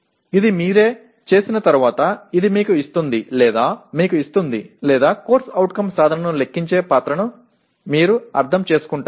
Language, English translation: Telugu, This will give you once you do it by yourself it will give you or rather you will understand the role of computing the CO attainment